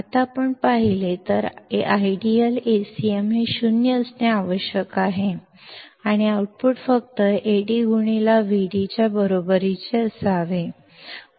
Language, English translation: Marathi, Now if we see; ideally A cm must be 0 and output should be equal to Ad intoVd only